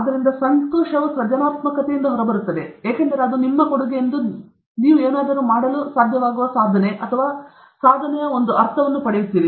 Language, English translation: Kannada, So, the happiness comes out of creativity, because it gives you a sense of achievement or accomplishment that you are able to do something that it is your contribution